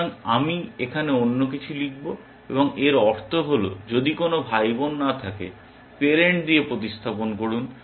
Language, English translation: Bengali, So, I will write else here, and this else means that there is no sibling, replace with parent